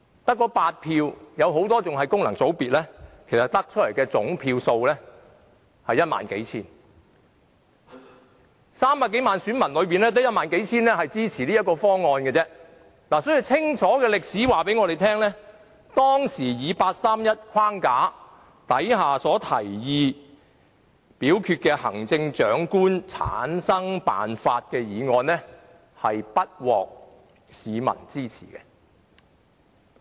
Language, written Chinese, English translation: Cantonese, 在300多萬選民中，只有1萬或數千人支持這個方案，所以歷史已清楚告訴我們，當時在八三一框架下提出的行政長官產生辦法的決議案，是不獲市民支持的。, In other words among 3 million - odd electors in Hong Kong only 10 000 or a few thousands of them supported the method proposed . Hence history has already revealed to us clearly that Hong Kong people did not support the motion concerning the method proposed under the 31 August framework back then for the selection of the Chief Executive